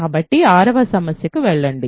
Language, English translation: Telugu, So, go to the 6th problem ok